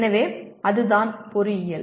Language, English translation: Tamil, So that is what engineering is